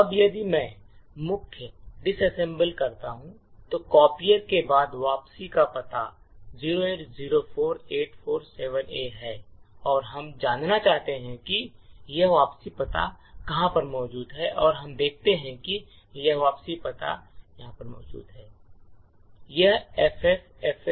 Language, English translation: Hindi, Now if I disassemble main, the return address after copier is 0804847A and we want to know where this return address is present on the stack and we see that this return address is present over here